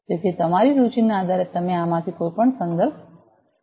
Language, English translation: Gujarati, So, depending on your interest you can go through any of these references